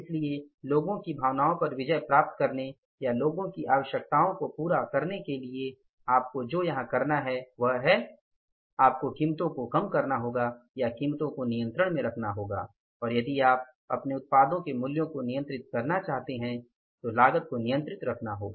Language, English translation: Hindi, So, to win over the sentiments of the people or to fulfill the requirements of the people what you have to do here is you have to reduce the prices or keep the prices under control and if you want to control the prices of the products you will have to control the cost